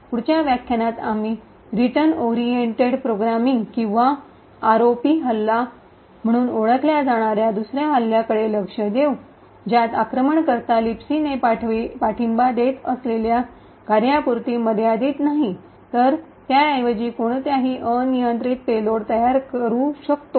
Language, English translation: Marathi, In the next lecture we will look at another attack known as the Return Oriented Programming or the ROP attack where the attacker is not restricted to the functions that LibC supports but rather can create any arbitrary payloads, thank you